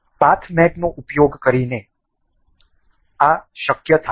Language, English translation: Gujarati, So, this was possible by using path mate